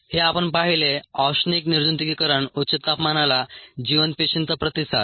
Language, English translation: Marathi, this is ah what we saw, the thermal sterilization, the response of viable cells to high temperature